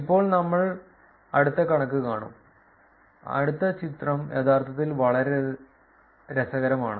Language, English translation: Malayalam, Now we will see the next figure, next figure is actually very interesting